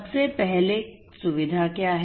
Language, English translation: Hindi, What is facility first of all